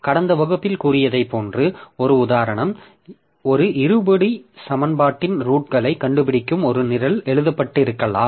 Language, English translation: Tamil, An example of it that we have told in the last class, like there may be I have a program written that finds roots of a quadratic equation